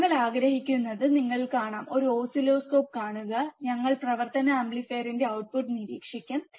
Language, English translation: Malayalam, You can see we will see an oscilloscope and we will observe the output of operational amplifier